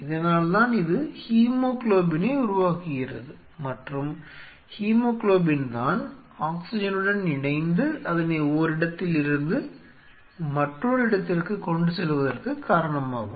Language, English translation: Tamil, So, that is why it makes its hemoglobin and hemoglobin is responsible for attaching to the oxygen and transporting its